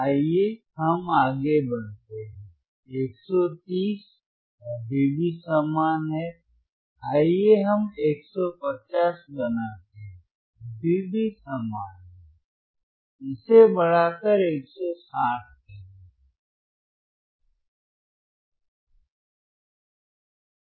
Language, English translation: Hindi, Llet us go further, let us make 130; 130 still same, let us make 150 still same, let us increase it to 160